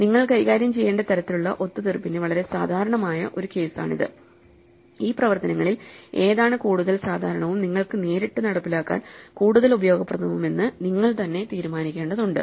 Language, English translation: Malayalam, And this is a very typical case of the kind of compromise that you have to deal with and you have to decide which of these operations is slightly to be more common and more useful for you to implement directly